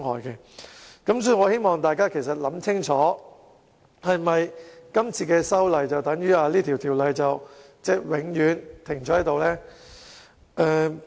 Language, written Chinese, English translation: Cantonese, 因此，我希望大家清楚考慮，如果有關議案獲得通過，是否等於法例永遠停滯不前？, Hence I hope Honourable colleagues will give due consideration to the fact that if the relevant motion is passed does it mean that the legislation will stay put forever?